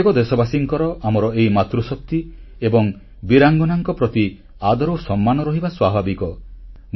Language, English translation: Odia, It is very natural for every countryman to have a deep sense of respect for these two bravehearts, our Matri Shakti